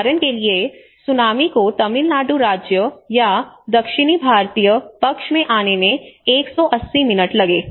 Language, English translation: Hindi, For instance, the same tsunami it took 180 minutes to get into the Tamil Nadu state or in the southern Indian side